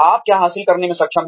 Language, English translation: Hindi, What you are able to achieve